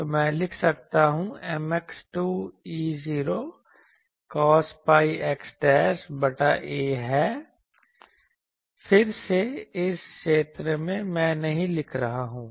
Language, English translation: Hindi, So, I can writing M x is 2 E not cos pi x dashed by a again in this zone, I am not writing